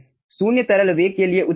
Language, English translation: Hindi, answer is obvious: for zero liquid velocity